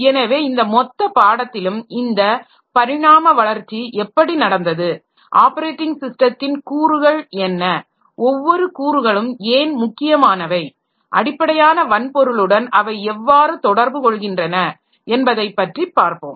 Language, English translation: Tamil, So, in this entire course, what we are trying to see is how this evolution has taken place, what are the components of the operating system, why the individual components are important and how they interact with the underlying hardware